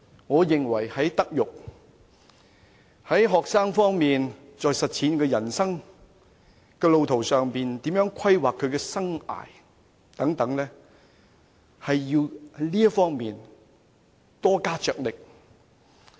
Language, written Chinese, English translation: Cantonese, 我認為在學生的德育方面，在協助他們在人生路途上學習如何規劃其生涯等方面，都要加大力度。, I think that the Government should spend more on students moral education and make greater efforts to help them learn how to plan their life